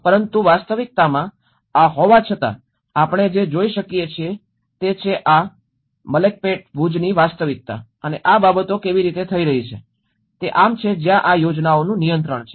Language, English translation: Gujarati, But in reality, though despite of having these what we can see is the reality of these Malakpet Bhuj and how these things are happening because this is where the planning control